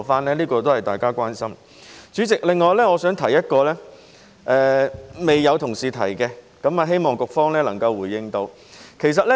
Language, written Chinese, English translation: Cantonese, 此外，代理主席，我想提出一個未有同事提及的觀點，希望局方能夠回應。, In addition Deputy President I would like to raise a point that has not been mentioned by my colleagues and I hope the Bureau can respond to it